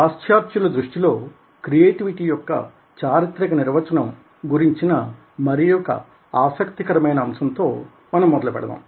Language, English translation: Telugu, another interesting aspect which we began was the historical definition of creativity in the western context